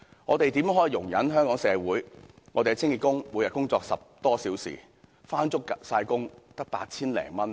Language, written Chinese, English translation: Cantonese, 我們怎可以容忍香港社會上的清潔工每天工作10多小時，從不缺勤，收入卻只有 8,000 多元呢？, How can we tolerate the fact that cleaning workers in our society who work some 10 hours a day and are never absent are paid some 8,000 only?